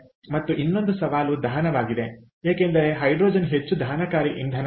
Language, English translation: Kannada, and the other challenge is combustion, because hydrogen is highly combustible fuel